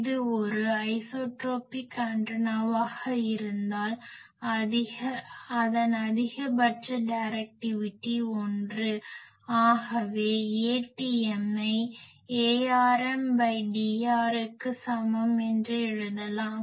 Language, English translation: Tamil, If it is an isotropic antenna its maximum directivity is 1 so, we can write A tm is equal to A rm by D r